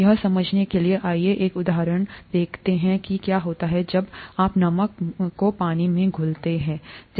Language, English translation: Hindi, To understand that, let us look at an example of what happens when common salt dissolves in water